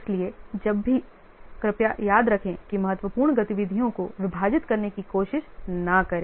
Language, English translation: Hindi, So, whenever please remember that don't try to split the critical activities